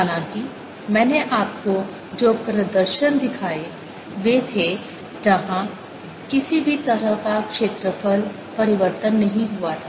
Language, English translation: Hindi, however, the demonstration i showed you was those where no change of area took place